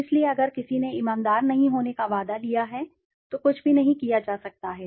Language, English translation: Hindi, So if somebody has taken a promise not to be honest, nothing can be done